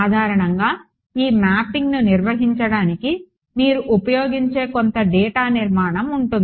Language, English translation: Telugu, So, typically there is some data structure that you will use to maintain this mapping